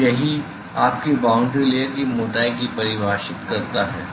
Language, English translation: Hindi, So, that is what defines your boundary layer thickness